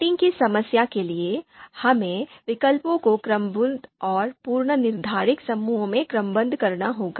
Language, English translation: Hindi, Then we talked about the sorting problem where we would like to sort the, we would like to sort the alternatives into ordered and predefined groups